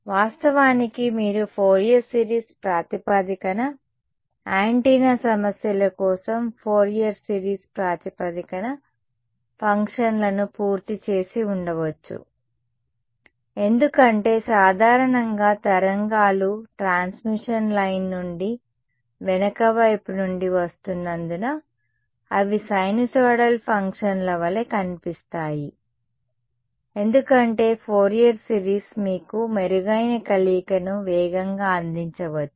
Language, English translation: Telugu, Right you could have done a Fourier series basis functions in fact for a antenna problems Fourier series is may give you better convergence faster because in general the waves look like sinusoidal functions because they coming from the back side from a transmission line